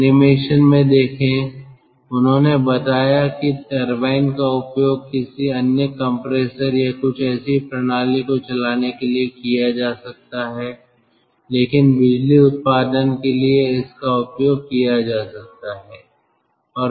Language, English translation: Hindi, see in the in the ah animation they told that that turbine could be used for running it, another compressor or ah, some such system, but for electricity generation it can be used